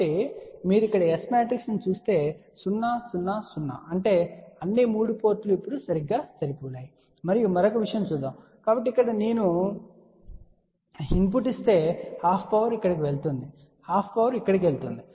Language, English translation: Telugu, So, if you look at the S matrix here 0 0 0, so that means all the 3 ports are now matched ok and let us see another thing, so from here if I give the input half power goes here half power goes over here